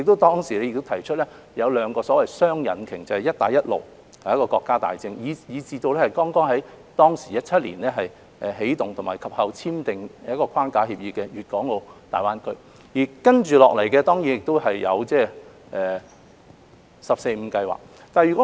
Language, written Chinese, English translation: Cantonese, 當時亦提出所謂的雙引擎，就是"一帶一路"這個國家大政及在2017年起動和及後簽訂框架協議的粵港澳大灣區，接下來當然還有"十四五"規劃。, At that time there was the proposal of the so - called dual engines namely the key national policy of the Belt and Road Initiative and the framework agreement on the development of GBA initiated and subsequently signed in 2017 . Of course they are followed by the 14th Five - Year Plan